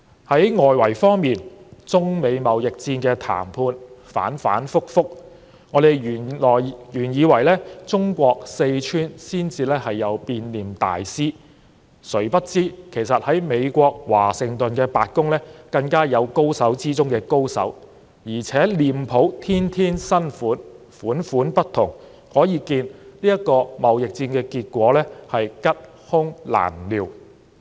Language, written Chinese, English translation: Cantonese, 在外圍方面，中美貿易戰的談判反反覆覆，原本以為中國四川才有變臉大師，誰不知美國華盛頓白宮更有高手之中的高手，而且臉譜天天新款、款款不同，可見貿易戰的結果是吉凶難料。, I thought face changing masters only exist in Sichuan China . Who would know that masters of the masters who put on a new mask each and every day are actually in the White House Washington DC? . We can thus see that the result of the trade war is unpredictable